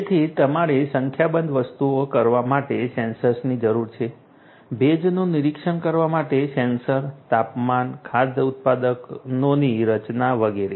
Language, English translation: Gujarati, So, you need sensors for doing number of things, sensors for monitoring humidity, temperature, composition of food products and so on